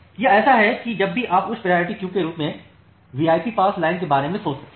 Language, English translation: Hindi, So, it is like that whenever you can just think of the high priority queue as the VIP passed line